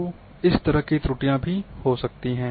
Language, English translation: Hindi, So, this kind of errors can also occur